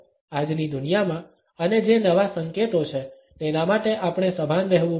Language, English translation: Gujarati, In today’s world and that there are new signals that, we have to be conscious of